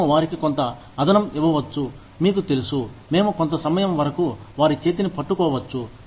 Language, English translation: Telugu, We may give them, some additional, you know, we may hold their hand, for a certain amount of time